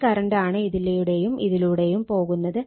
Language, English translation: Malayalam, So, same current is flowing here